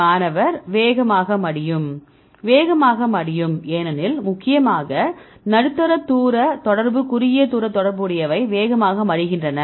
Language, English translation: Tamil, Fold fast right because the mainly medium range interaction short range interaction they fold fast